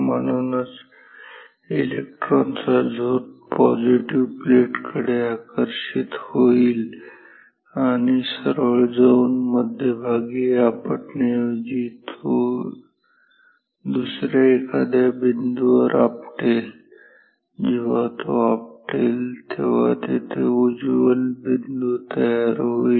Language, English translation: Marathi, Therefore, the electron beam will get attracted towards the positive plates and instead of going straight and hitting the centre it will hit some other point, whenever it hits a bright spot appears there